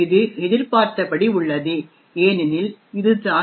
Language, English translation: Tamil, This is as expected because that is what is present in the driver